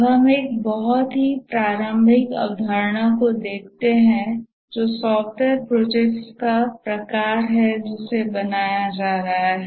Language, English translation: Hindi, Now let's look at another very preliminary concept is the type of software projects that are being done